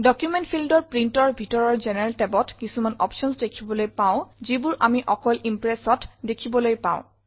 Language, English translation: Assamese, In the General tab, under Print, in the Document field, we see various options which are unique to Impress